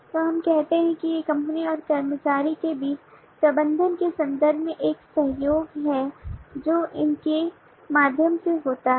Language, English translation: Hindi, so we say that these are there is a collaboration between the company and the employee in terms of the management that happen through them